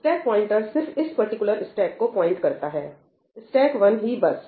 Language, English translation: Hindi, The stack pointer just points to this particular stack, stack 1, that is all